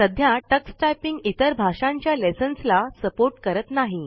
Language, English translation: Marathi, However, currently Tux Typing does not support lessons in other languages